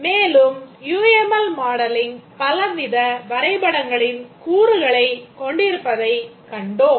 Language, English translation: Tamil, And we also saw that modeling using UML consists of creating many types of diagrams